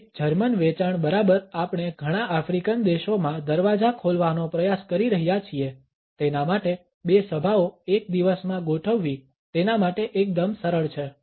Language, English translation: Gujarati, A German sales exactly we are trying to open doors in a number of African countries schedule two meetings a dye, for him quite easygoing